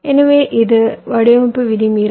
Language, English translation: Tamil, so this is our design rule violation